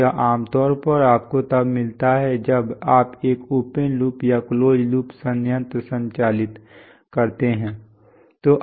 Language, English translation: Hindi, So this is typically what you find when you have, when you operate a plant either open loop or closed loop